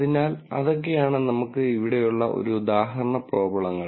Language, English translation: Malayalam, So, that is the kind of example problem that we have here